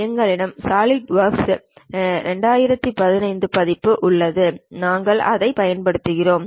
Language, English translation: Tamil, We have Solidworks 2015 version and we are using that